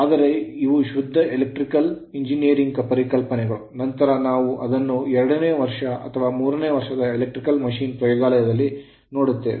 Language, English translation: Kannada, So, but these are the thing, but if your pure electrical engineer, then you will definitely see it in your second year or third year electrical machine laboratory